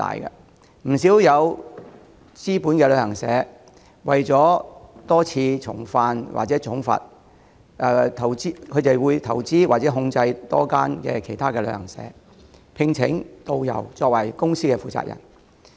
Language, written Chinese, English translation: Cantonese, 不少具備資本的旅行社，為免多次重犯而被重罰，會投資開設多間旅行社，聘請導遊作為公司負責人。, To avoid heavy penalties for repeated non - compliance some travel agencies with adequate capital will make investment to set up a number of travel agencies and engage tourist guides as the responsible persons of these companies